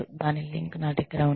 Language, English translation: Telugu, I have a link to it